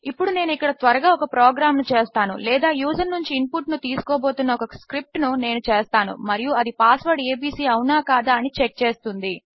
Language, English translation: Telugu, Now Ill make a program here quickly or a script thats going to take an input from the user and it will check to see if the password is abc